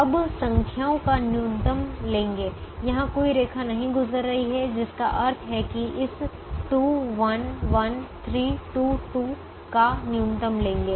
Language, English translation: Hindi, now take the minimum of the numbers where no line is passing through, which means take the minimum of this: two, one, one, three, two, two